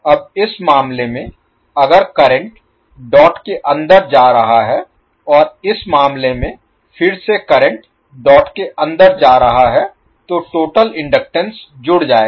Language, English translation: Hindi, Now in this case if the current is going inside the dot and in this case again the current is going inside the dot the total inductance will be the adding connection